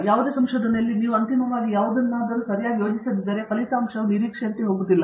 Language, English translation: Kannada, In any research, if you donÕt plan anything properly ultimately, the result is not going to be as expected